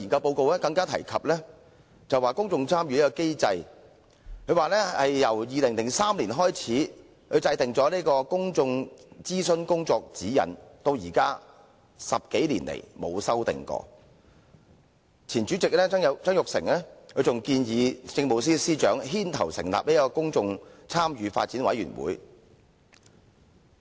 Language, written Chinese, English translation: Cantonese, 報告更提及公眾參與機制，指政府自2003年制訂《公眾諮詢工作的指引》，至今10多年來從未作出修訂，前任立法會主席曾鈺成更建議由政務司司長牽頭成立公眾參與發展委員會。, The report also mentions the mechanism of public participation highlighting that since the Government implemented the Guidelines on Public Consultation in 2003 no amendment has been made in the past 10 - odd years . The former President of the Legislative Council Jasper TSANG even suggested that the Chief Secretary for Administration should take the lead to set up the Public Engagement Development Commission